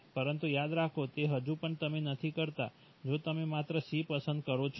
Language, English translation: Gujarati, But remember that still you do not, you if you choose only one C